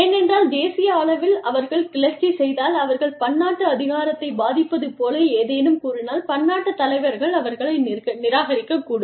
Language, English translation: Tamil, Because, if at the national level, they revolt, they say something, the multi national authority, the multi national leader, may reject them